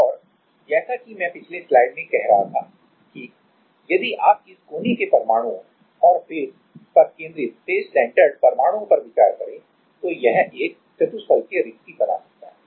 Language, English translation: Hindi, And as I was saying in the last side that; if you if you consider this corner atoms and face centered atoms then it can form a tetrahedral vacancy